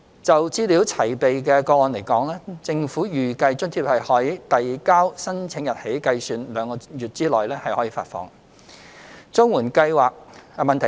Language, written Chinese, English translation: Cantonese, 就資料齊備的個案而言，政府預計津貼可於遞交申請日起計兩個月內發放。, For those applications with all the required information duly submitted it is estimated that the subsidy may be disbursed within two months from the date of application